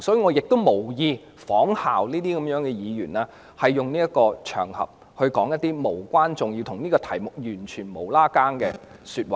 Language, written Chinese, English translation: Cantonese, 我無意仿效這些議員，在這個場合說出一些無關重要及與議題毫無關係的說話。, I do not intend to follow these Members to say something that is insignificant or entirely irrelevant to the subject matter on this occasion